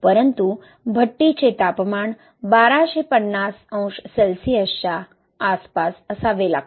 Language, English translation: Marathi, But the kiln temperature has to be around thousand and two fifty degrees Celsius